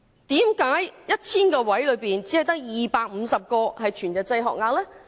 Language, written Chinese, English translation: Cantonese, 為何在 1,000 個幼稚園學額中，只有250個是全日制學額呢？, Why are there only 250 full - time places in every 1 000 kindergarten places?